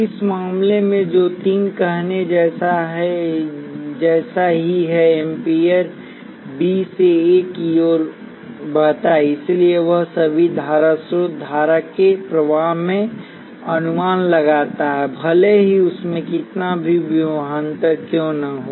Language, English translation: Hindi, In this case, which is the same as saying three amperes flows from B to A; so all that current source does estimate in a flow of current regardless of what voltages across it